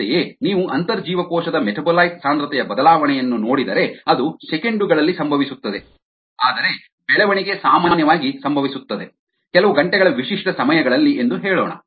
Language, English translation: Kannada, similarly, if you look at the intracellular metabolite concentration change, it happens over seconds where, as growth typically happens over, lets say, of few, lets say over ah characteristic times of hours